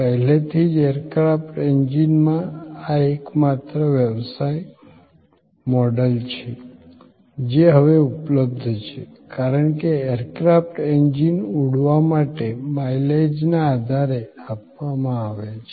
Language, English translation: Gujarati, Already, in aircraft engines, this is the only business model; that is now available, because aircraft engines are provided on the basis of mileage to be flown